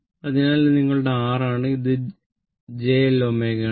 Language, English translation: Malayalam, So, this is this is your R, and this is j L omega